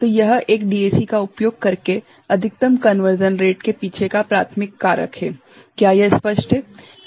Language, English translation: Hindi, So, this is the primary factor behind the maximum rate of conversion that is possible using a DAC, is it clear